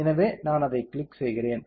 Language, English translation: Tamil, So, I am clicking it